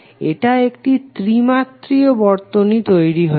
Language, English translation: Bengali, It is now become a 3 dimensional circuit